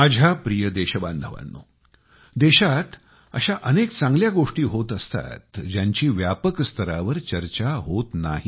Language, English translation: Marathi, My dear countrymen, there are many good events happening in the country, which are not widely discussed